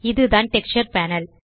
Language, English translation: Tamil, This is the Texture Panel